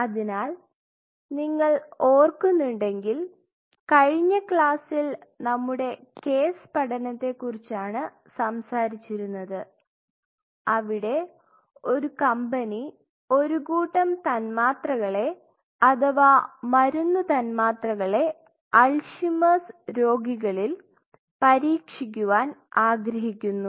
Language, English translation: Malayalam, So, if you remember in the last class we talked about our case study where a company who has a set of molecules or drug molecules which it wishes to test for Alzheimer patients